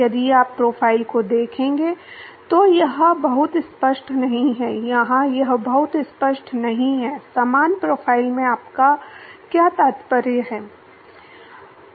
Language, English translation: Hindi, It is not very obvious, if you look at the profiles; here it is not very obvious, what you mean by similar profile